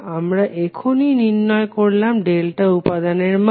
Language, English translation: Bengali, We just calculated the value of value for delta element